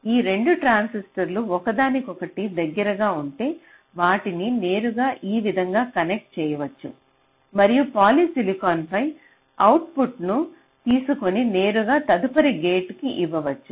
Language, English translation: Telugu, so if these two transistors are closer together, then you can possibly connect them directly like this, and the output you can take on polysilicon so that it can be fed directly to the next gate